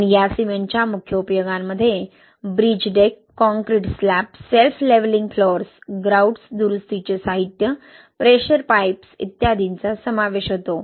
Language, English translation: Marathi, And the major applications of this cement include in bridge decks, concrete slabs, self levelling floors, grouts, repair materials, pressure pipes, etc